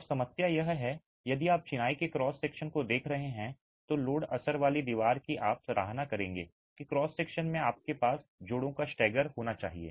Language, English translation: Hindi, Now the problem is if you were to look at the cross section of the masonry and the cross section of the masonry, the load bearing wall, you will appreciate that in the cross section you must have the stagger of the joints